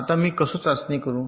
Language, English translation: Marathi, how do i do test